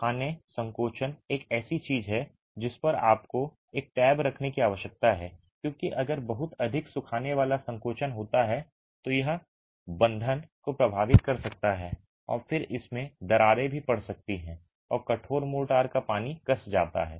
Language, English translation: Hindi, Drying shrinkage is something that you need to keep tab on because if there is too much of drying shrinkage it can affect the bond and then it can also have cracks and the water tightness of the hardened motor is lost